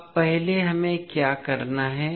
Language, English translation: Hindi, Now, first what we have to do